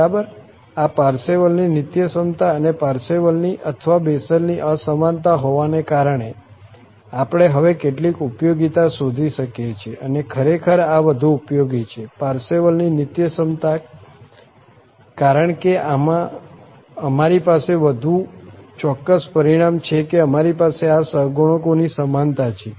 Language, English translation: Gujarati, Well, having this Parseval's Identity and Parseval's or Bessel's Inequality, we can now look for some applications and indeed, this one is more useful, the Parseval's Identity because we have more precise result that we have the equality of these coefficients